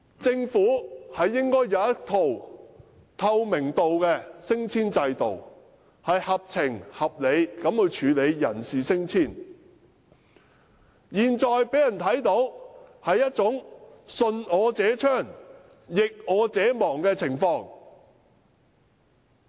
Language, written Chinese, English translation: Cantonese, 政府應有一套透明的升遷制度，合情合理地處理人事升遷事宜，但現時的處境卻是"順我者昌，逆我者亡"。, The Government should have a transparent promotion system in place to deal with staff promotion matters in a reasonable and convincing manner . Nevertheless under the current situation only people who conform to the authority shall thrive whereas those who resist shall perish